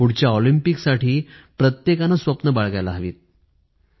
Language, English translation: Marathi, Each one should nurture dreams for the next Olympics